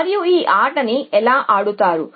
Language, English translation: Telugu, So, how would you play this game